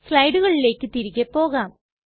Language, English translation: Malayalam, Now we go back to the slides